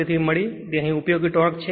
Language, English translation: Gujarati, 53, and this isyour useful torque here